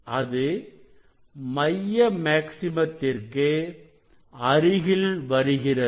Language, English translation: Tamil, it is coming closer to the central maxima